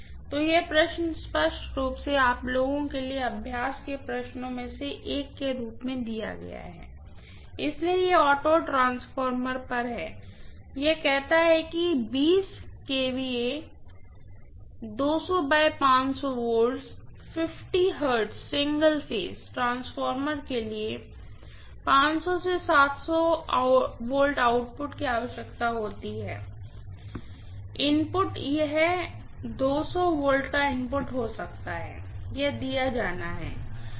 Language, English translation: Hindi, So, this question apparently has been given as one of the exercise questions for you guys, so this is on auto transformer, it says a 20 kVA 200 by 500 volts 50 hertz single phase transformer requires a 700 volts output from a 500 volts input, it may be or 200 volts input, this has to be given